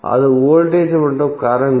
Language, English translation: Tamil, That is voltage and current